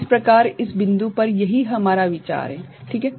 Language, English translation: Hindi, So, this is what is our consideration at this point ok